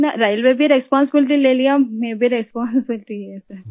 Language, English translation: Hindi, Railway took this much responsibility, I also took responsibility, sir